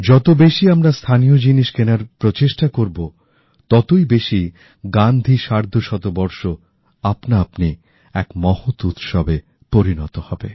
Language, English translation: Bengali, The more we try to buy our local things; the 'Gandhi 150' will become a great event in itself